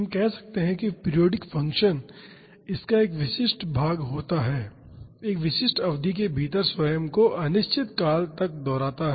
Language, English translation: Hindi, We can say the periodic function has a specific portion of it, within a specific duration repeating itself indefinitely